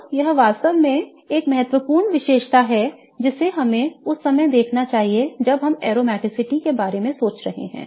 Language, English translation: Hindi, So, this is really an important characteristic that we should look at when we are thinking of aromaticity